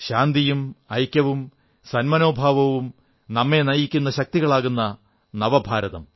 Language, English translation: Malayalam, New India will be a place where peace, unity and amity will be our guiding force